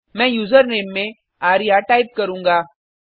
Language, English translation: Hindi, I will type arya as the Username